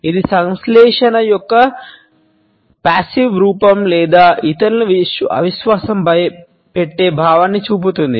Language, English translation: Telugu, It shows a passive form of synthesis or a sense of disbelieving others